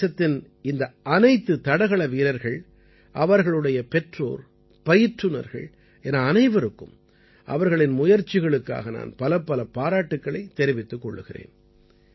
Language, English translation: Tamil, I congratulate all these athletes of the country, their parents and coaches for their efforts